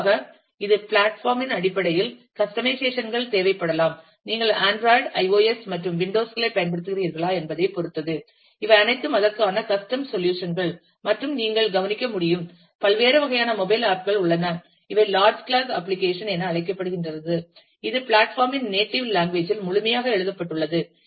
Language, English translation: Tamil, And specifically, it might need customizations based on the kind of platform, you are using whether you have using android, iOS and windows, and these are all custom solutions for that and you could also note that, there are different types of mobile apps one large class is known as native application where, which is completely written in the native language of the platform